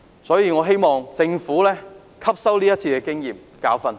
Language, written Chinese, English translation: Cantonese, 所以我希望政府能汲取今次的經驗和教訓。, Hence I hope that the Government will learn from this experience and draw a lesson